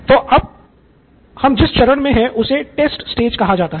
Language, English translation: Hindi, So this is the stage called Test